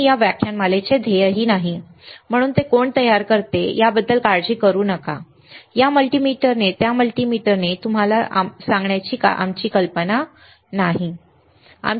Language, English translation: Marathi, That is not the goal of this lecture series; so, do not worry about who manufactures it; that is not our idea of telling you by this multimeter by that multimeter